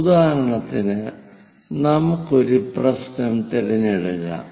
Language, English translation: Malayalam, For example, let us pick a problem